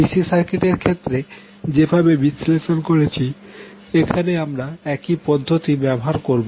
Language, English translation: Bengali, We will use the same technique which we used in case of DC circuit analysis where we will have one circuit linear circuit